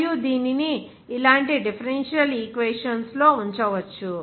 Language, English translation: Telugu, And this can be put into the differential equations like this